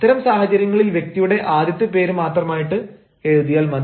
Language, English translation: Malayalam, in such a case you should simply write the first name of the person